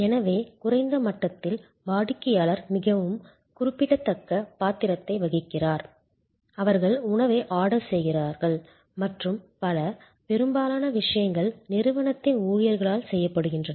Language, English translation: Tamil, So, at the lowest level the customer has very in significant role, may be they just ordering the food and so on, most of the stuff are done by the staff of the organization